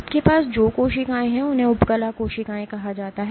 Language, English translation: Hindi, What you have are a layer of cells these are called epithelial cells